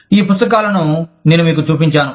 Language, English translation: Telugu, I have shown you, these books